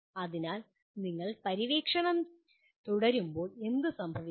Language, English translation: Malayalam, So what happens as you keep exploring